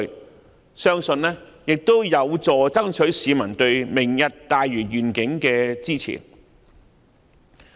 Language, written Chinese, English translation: Cantonese, 我相信這亦有助爭取市民對"明日大嶼願景"的支持。, I believe this can also help to obtain peoples support for the Lantau Tomorrow Vision